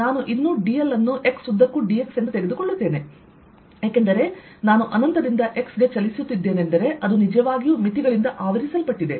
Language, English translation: Kannada, i'll still take d l to be d x along x, because that i am moving in from infinity to x is actually covered by the limits